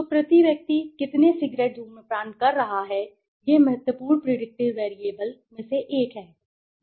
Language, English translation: Hindi, So how many cigarettes the person is smoking per day is one of the important predictor variables